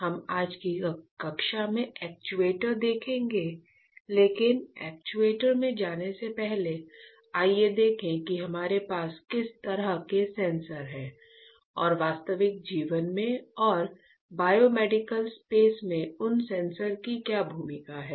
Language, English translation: Hindi, In the last module if you remember I said that we will see actuators in the next class, but before moving to actuators let us see what kind of sensors we have and what are the roles of those sensors in real life and in the biomedical space